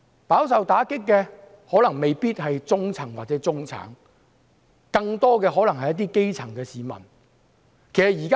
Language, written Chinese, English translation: Cantonese, 飽受打擊的可能未必是中層或中產，更可能是一些基層的市民。, Those who suffer are not necessarily the middle class; more likely they are the grassroots